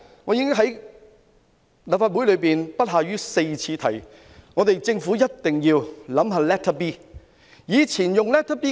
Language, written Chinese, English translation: Cantonese, 我已在立法會提出不下4次，政府一定要考慮使用 Letter B。, I have proposed it in the Legislative Council no less than four times . The Government must consider using Letter B